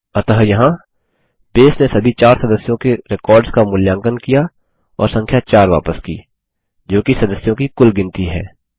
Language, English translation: Hindi, So here, Base has evaluated all the 4 members records and returned the number 4 which is the total count of members